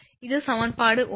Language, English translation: Tamil, This is equation 1 this is equation 1